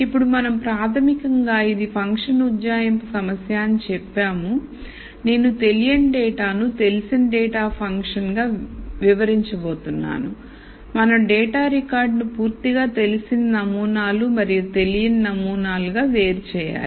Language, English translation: Telugu, Now that we basically said it is a function approximation problem where I am going to relate the unknown data as a function of known data, we need to segregate the data record to completely known samples and samples that are unknown